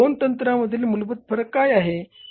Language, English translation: Marathi, So, what is a basic difference between the two techniques